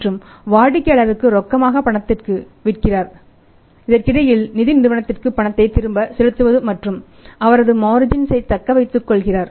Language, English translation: Tamil, And sell it to the customer on cash in between recover the funds and paid back to the company and retain his margins